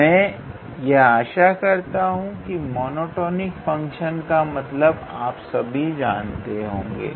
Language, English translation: Hindi, So, I am hoping that all of you know what does a monotonic function mean